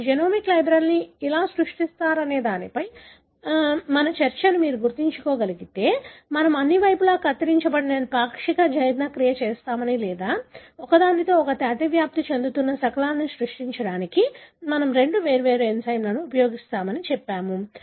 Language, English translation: Telugu, If you can recall our discussion on how do you create genomic library, we said that we do either a partial digestion wherein all the sides are not cut or we use two different enzymes to create fragments that overlap with each other